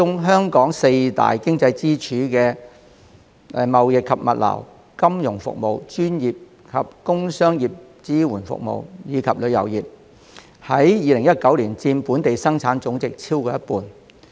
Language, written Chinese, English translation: Cantonese, 香港四大經濟支柱產業包括貿易及物流業、金融服務業、專業及工商業支援服務業，以及旅遊業，在2019年佔本地生產總值超過一半。, The four pillar industries in Hong Kongs economy namely trading and logistics financial services professional and producer services and tourism accounted for more than half of GDP in 2019